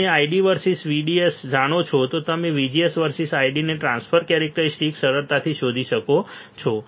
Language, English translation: Gujarati, If you know ID versus VDS you can easily find transfer characteristics of ID versus VGS